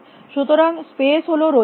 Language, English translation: Bengali, So, space is linear